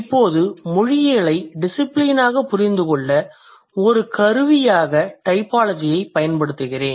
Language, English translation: Tamil, I'm using typology as a tool to understand linguistics as a discipline